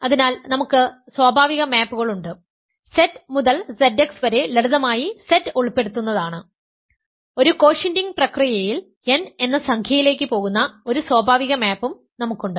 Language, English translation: Malayalam, So, we have natural maps, Z to Z x which is simply the inclusion of Z in so, an integer n goes to an integer n to we have also a natural map coming from the quotienting process